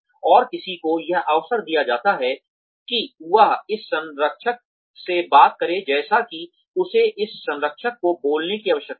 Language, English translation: Hindi, And, one is given the opportunity, to speak to this mentor, as and when, one needs to speak to this mentor